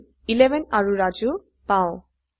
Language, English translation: Assamese, So, we get 11 and Raju